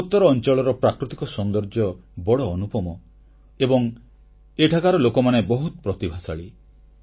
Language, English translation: Odia, The natural beauty of North East has no parallel and the people of this area are extremely talented